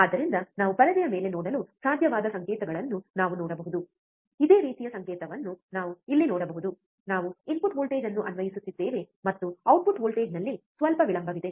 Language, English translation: Kannada, So, we can see the signals which we were able to look at the in on the screen, similar signal we can see here we are applying the input voltage, and there is some lag in the output voltage